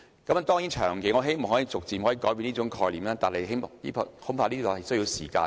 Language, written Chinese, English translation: Cantonese, 我當然希望長遠來說可以逐漸改變這種概念，但恐怕需要一些時間。, Of course I hope that the above concept can be changed in the long run but I am afraid it will take some time